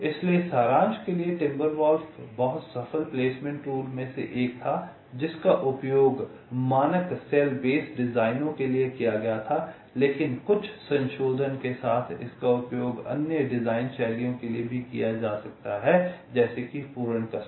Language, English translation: Hindi, so to summaries, timber wolf was one of the very successful placement tools that was used for standard cell base designs, but this, with some modification, can also be used for the other design styles, like full custom